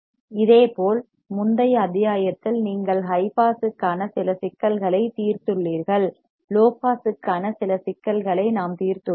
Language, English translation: Tamil, Similarly, in the previous module you have solved some problems for high pass we have solved some problem for low pass